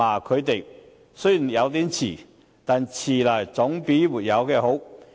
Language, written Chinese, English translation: Cantonese, 他的行動雖然有點遲，但遲來總比不做好。, Although his action is a bit late it is better late than never